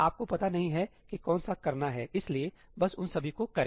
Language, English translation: Hindi, You do not know which one to do, so just do all of them